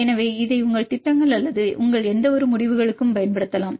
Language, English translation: Tamil, So, you can also use this for any of your projects or your any of your results fine